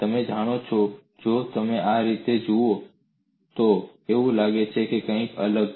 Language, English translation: Gujarati, If you look at like this, it looks as if it is something different